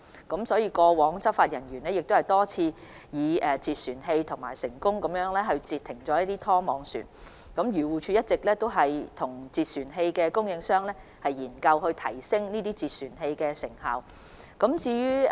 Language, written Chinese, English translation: Cantonese, 過去執法人員多次以截船器成功攔截拖網漁船，漁護署一直與截船器供應商研究如何提升截船器的成效。, In the past enforcement officers had successfully intercepted fishing vessels engaged in trawling by use of vessel arrest systems . AFCD has been studying with the suppliers of vessel arrest systems about how to enhance the effectiveness of such systems